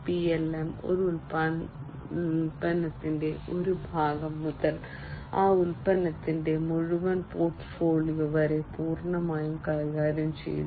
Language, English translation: Malayalam, PLM handles a product completely from single part of the product to the entire portfolio of that product